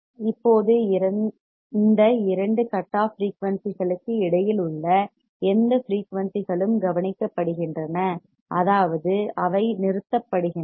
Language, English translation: Tamil, Now, any frequencies in between these two cutoff frequencies are attenuated that means, they are stopped